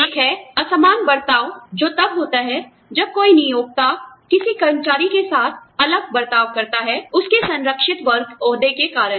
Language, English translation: Hindi, One is Disparate treatment, which occurs, when an employer treats, an employee differently, because of his or her, protected class status